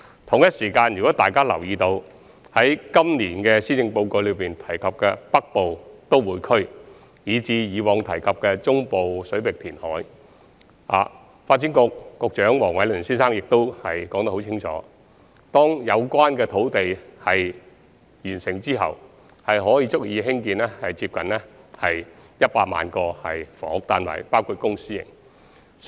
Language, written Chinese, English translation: Cantonese, 同時，如有留意今年施政報告提及的北部都會區，以至過往提及的中部水域填海工程，當可知道發展局局長黃偉綸先生已很清楚說明，有關的土地開拓工程完成後，將足以興建接近100萬個房屋單位，包括公私營單位。, In the meantime as noted in the proposal put forward in the Policy Address this year on the development of the Northern Metropolis and the proposal mentioned previously to carry out reclamation in the Central Waters the Secretary for Development Mr Michael WONG has already explained very clearly that after completion of the land development projects in question adequate land will be provided for the construction of nearly 1 million housing flats including both public and private units